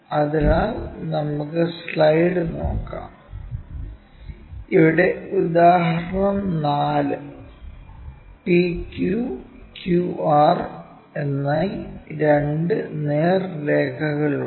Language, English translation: Malayalam, So, let us look at the slide, here example 4; there are two straight lines PQ and QR